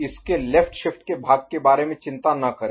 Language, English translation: Hindi, do not worry about the left shift part of it ok